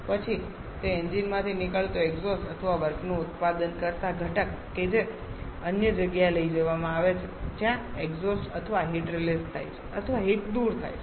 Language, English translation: Gujarati, Then that exhaust coming out of that engine or the component producing work output that is taken to another where the exhaust or heat released or heat removal takes place